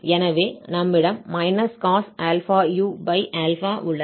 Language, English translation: Tamil, So, here we have 2/p